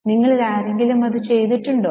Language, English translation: Malayalam, Has any one of you done it